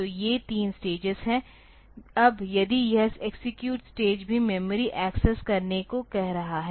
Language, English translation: Hindi, So, these three stages are there, now if this execute stage is also asking to access memory